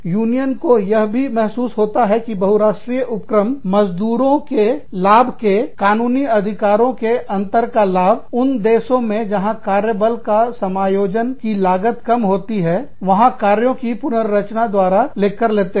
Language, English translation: Hindi, s, multi national enterprises, take advantage of, differences in legally mandated benefits for workers, by restructuring the operations in countries, where the costs of workforce adjustments, are the lowest